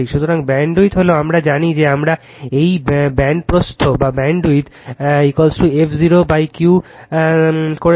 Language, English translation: Bengali, So, bandwidth is we know we have done it band width is equal to f 0 upon Q right